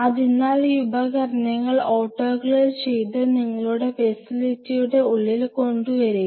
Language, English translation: Malayalam, So, you get these instruments autoclaved and bring it inside your facility like